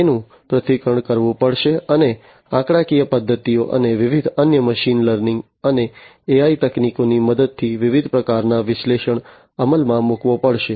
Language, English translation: Gujarati, Those will have to be analyzed, and different kinds of analytics will have to be executed with the help of statistical methods and different other machine learning and AI techniques